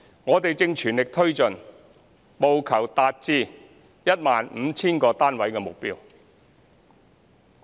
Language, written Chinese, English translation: Cantonese, 我們正全力推進，務求達至 15,000 個單位的目標。, We are pressing ahead with this initiative with a view to achieving the target of 15 000 units